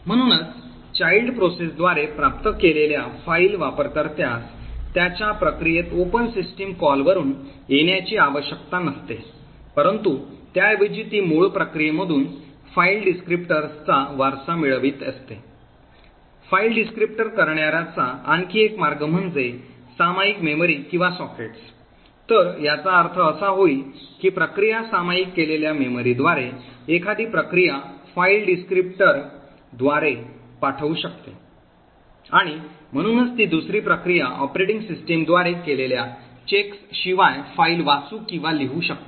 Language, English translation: Marathi, Thus a file descriptor obtained by the child process does not have to come from an open system call in its process but rather it is actually inheriting the file descriptor from the parent process, another way to obtain a file descriptor is through shared memory or sockets, so this would mean that a process could send a file descriptor to an other process through a shared memory and therefore that second process can then read or write to the file without anymore explicits checks done by the operating system